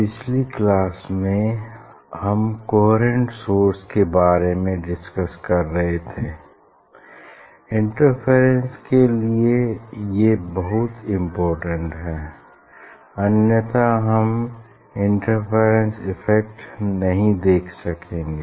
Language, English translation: Hindi, in last class we are discussing about the coherent source, for interference it is very important otherwise we cannot see the interference effect